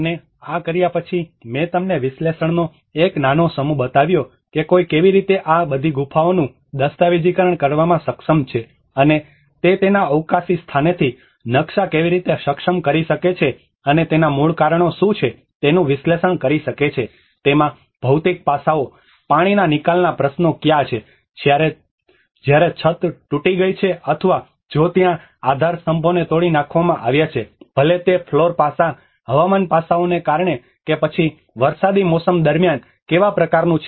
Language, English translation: Gujarati, \ \ \ And after having this, I showed you only a small set of analysis of how one have able to document all these caves and how they were able to map down from a spatial point of it and analyze what are the root causes for it, where are the material aspects into it, where are the water seepage issues, whereas the ceiling has been broken down or if there is the pillars have been broken down, whether the floor aspect which has been chipping out because of weathering aspects or during rainy season what kind of impacts it is having